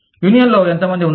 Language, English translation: Telugu, How many people are there, in the union